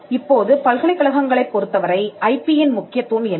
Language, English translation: Tamil, Now, what is the importance of IP for universities